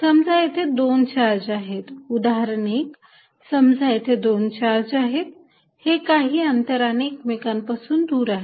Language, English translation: Marathi, Suppose I have two charge; example one, suppose I have two charges, separated by certain distance